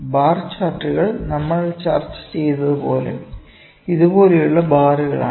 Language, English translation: Malayalam, Bar charts are just as we discussed these are the bars like these, ok